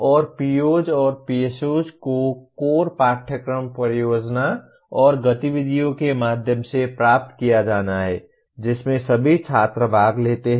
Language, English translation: Hindi, And POs and PSOs are to be attained through core courses project and activities in which all students participate